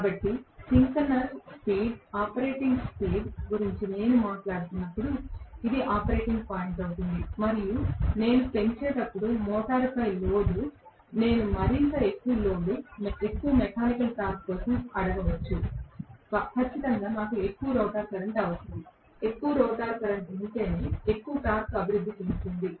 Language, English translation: Telugu, So, this is going to be the operating point when I am talking about synchronous speed being the operating speed and as I increase you know the load on the motor, may be I ask for more and more load, more and more mechanical torque, definitely I will require more and more rotor current, only if there is more rotor current there will be more torque developed